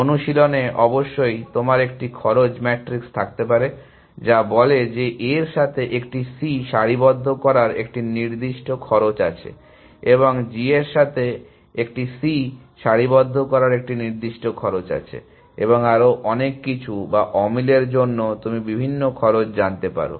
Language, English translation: Bengali, In practice of course, you may have a cost matrices which would say that, aligning a C with A has a certain cost, aligning a C with a G has a certain cost and so on and so forth or mismatches may have you know different cost